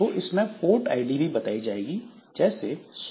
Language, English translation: Hindi, So there the port ID will be mentioned 100